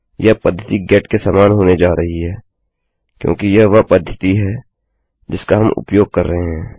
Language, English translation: Hindi, This method is going to equal get because thats the method were using